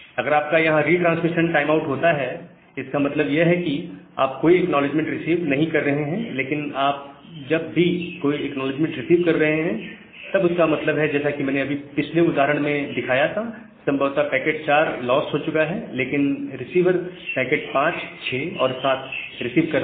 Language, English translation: Hindi, That means, you are not receiving any acknowledgement, but whenever you are receiving some acknowledgement that means, possibly that packets say in the earlier example that I was showing, possibly packet 3 has been say packet 4 has been lost, but the receiver is receiving packet 5, 6, and 7